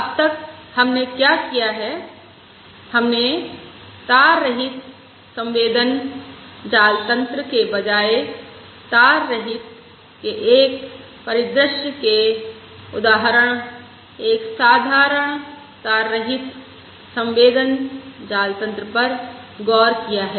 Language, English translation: Hindi, So so far, what we have done is we have considered a simple wireless sensor network, an example of a wireless, a scenario rather of a wireless sensor network